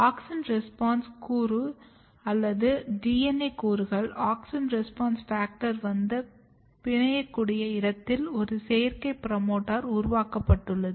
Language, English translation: Tamil, So, basically a synthetic promoter has been created where the auxin response element this is the element or DNA elements where auxin response factor can come and bind